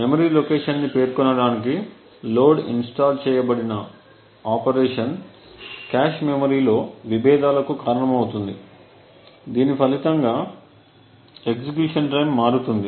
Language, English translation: Telugu, Essentially the load installed operation to specify memory location could cause conflicts in the cache memory resulting in a variation in the execution time